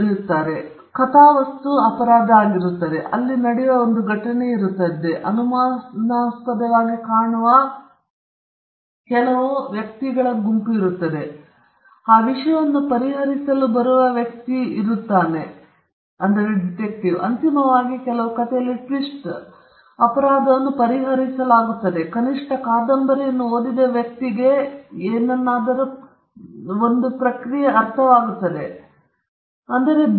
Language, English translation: Kannada, So, this is the genre, there is a plot, there is an event that happens, and there are a set of characters all looking suspicious, and there is a person who would come to solve that thing, and eventually, there could be some twist in the tale; eventually, the crime is solved or at least the person who reads the novel is given an impression that he was a part of a process of solving something